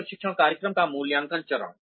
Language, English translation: Hindi, The assessment phase of a training program